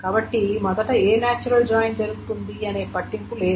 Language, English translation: Telugu, So it doesn't matter which natural join is first done